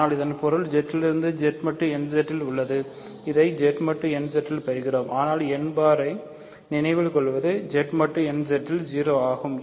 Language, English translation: Tamil, So, this is in Z going modulo Z mod nZ we get this in Z mod nZ, but n bar remember is 0 in Z mod nZ